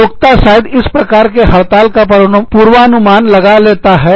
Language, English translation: Hindi, Employers may anticipate, this kind of a strike